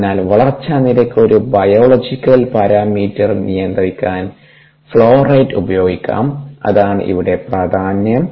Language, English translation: Malayalam, so the flow rate can be used to control a biological parameter, which is the growth rate